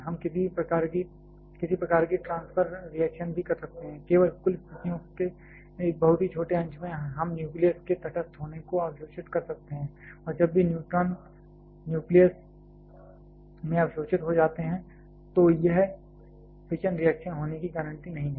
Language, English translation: Hindi, We can also some kind of transfer reactions, only in a very small fraction of total situations we can have the neutral being absorb in the nucleus and whenever the neutrons gets absorbed in the nucleus it is not guaranteed to be fission reaction